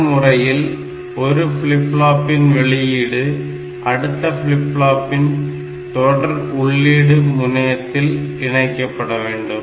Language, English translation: Tamil, So, this is the serial in and this serial output of this flip flop, should be connected to the serial in of the next flip flop